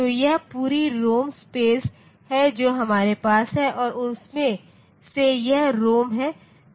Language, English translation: Hindi, So, this is the complete ROM space that we have and out of that so this is ROM